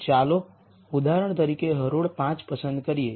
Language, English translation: Gujarati, Let us pick for example, row 5